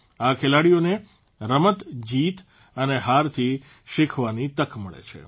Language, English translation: Gujarati, They give players a chance to play, win and to learn from defeat